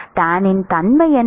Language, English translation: Tamil, What is the nature of tan